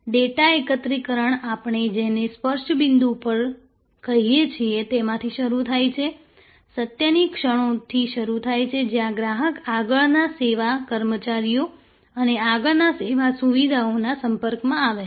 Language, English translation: Gujarati, Starts, the data collections starts from what we call at the touch points, starts from the moments of truth, where the customer comes in contact with the front line service personnel and the front line service facilities